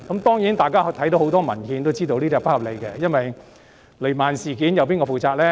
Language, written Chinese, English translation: Cantonese, 當然，大家從很多文獻看到，這並不合理，正如雷曼事件，誰要負責呢？, As we can see from many papers this is certainly not reasonable . In the case of the Bankruptcy of Lehman Brothers for example who should be held responsible?